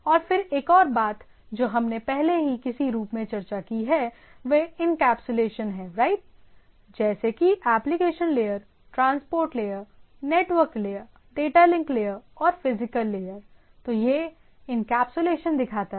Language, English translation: Hindi, And then another things what we have already discussed in some form is that encapsulation right, like if I have say application layer, transport layer, network layer, data link layer and physical layer, then things are encapsulated